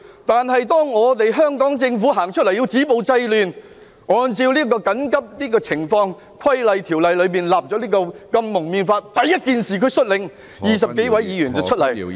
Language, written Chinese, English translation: Cantonese, 但是，當香港政府出來止暴制亂，按照《緊急情況規例條例》訂立《禁止蒙面規例》，他第一時間率領20多位議員出來......, Nonetheless when the Hong Kong Government came forward to stop violence and curb disorder enacting the Prohibition on Face Covering Regulation pursuant to the Emergency Regulations Ordinance he immediately led more than 20 Members to come out